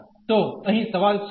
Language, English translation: Gujarati, So, what is the question here